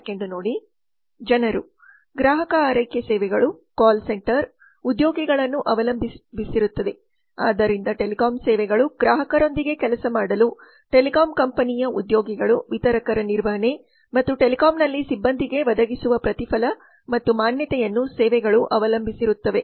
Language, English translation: Kannada, people the customer care services call centers depend on employees so lot of telecom services actually depend on the employees of the telecom company distributor's management and reward and recognition that is provided to people for them to work with the customer in telecom services